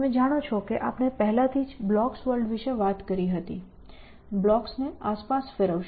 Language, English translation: Gujarati, You know we already talked about blocks world, moving blocks around